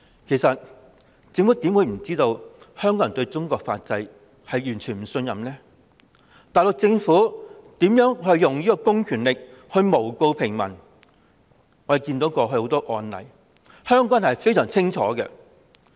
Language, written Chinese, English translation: Cantonese, 其實政府怎會不知道香港人對中國法制完全不信任，大陸政府以公權力誣告平民的種種案例，香港人也看得非常清楚。, How could the Government not know that Hong Kong people have no trust in Chinas legal system? . Hong Kong people saw clearly various cases of abuse of public power by the Mainland Government when it falsely accused the ordinary people